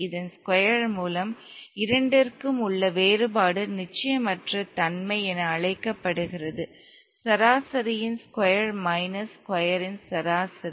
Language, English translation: Tamil, The difference between the two, the square root of this is called the uncertainty average of the square minus square of the average